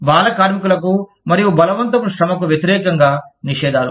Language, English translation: Telugu, Prohibitions against child labor and forced labor